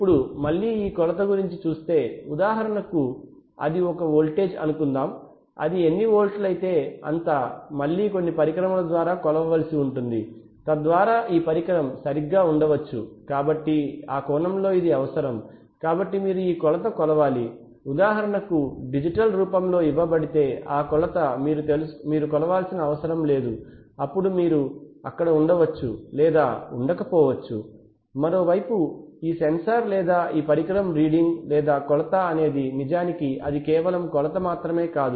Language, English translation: Telugu, Now this measurement again for example suppose it is a voltage then how many volts it is that again will have to be measured by some instrument, so that maybe this instrument right so in that sense this is required, so you have to you have to measure the measurement if the measurement is for example given in a digital form then you do not need to measure it then you can so this may be there or not there, on the other hand there are you know this sensor this instrument reading or the measurement is actually a result of not only the measurement